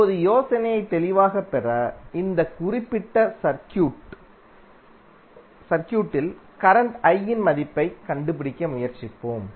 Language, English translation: Tamil, Now, to get the idea more clear, let us try to find out the value of current I in this particular circuit